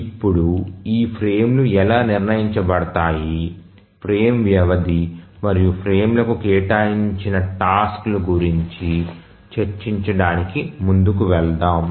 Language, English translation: Telugu, Now let's proceed looking at how are these frames decided frame duration and how are tasks assigned to the frames